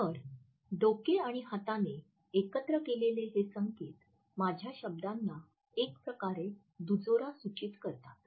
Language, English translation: Marathi, So, this head and hand signal associated together suggest a complimentary aspect of my words